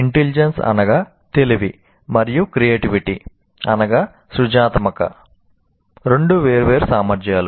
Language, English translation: Telugu, And intelligence and creativity are two separate abilities